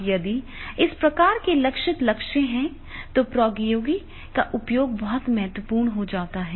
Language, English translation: Hindi, Now if this type of the very high targeted goals are there then definitely the use of the technology that becomes very, very important